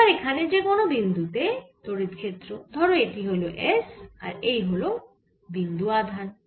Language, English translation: Bengali, so at any point, electric field, let this is at s and this is a point charge